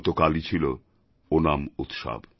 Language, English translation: Bengali, Yesterday was the festival of Onam